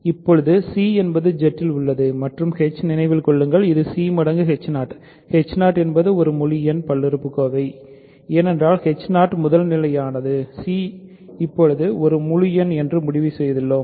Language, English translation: Tamil, Now c is in Z and h remember is c times h 0; h 0 is an integer polynomial because h 0 is primitive, c we have just concluded is an integer